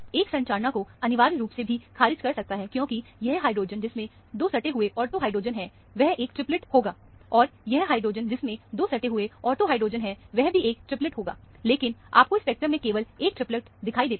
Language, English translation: Hindi, One can rule out the structure also essentially, because, this hydrogen, which has 2 adjacent ortho hydrogen, would be a triplet, and this hydrogen which also has 2 adjacent ortho hydrogens would be a triplet; but, you see only one triplet in the spectrum